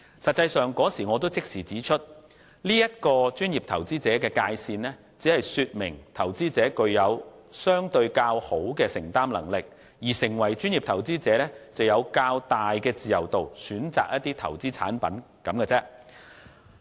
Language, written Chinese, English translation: Cantonese, 實際上，我當時已立即指出，專業投資者的界線只是說明投資者具有相對較好的承擔能力，而成為專業投資者只是有較大的自由度選擇投資產品而已。, In fact I immediately pointed out back then that the asset threshold for professional investors should only be taken as an indication of their greater ability to bear potential losses and that qualifying as a professional investor will only give an investor greater freedom in choosing investment products